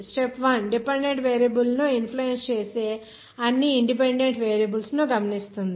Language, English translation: Telugu, Step 1 notes all the independent variables that are likely to influence the dependent variable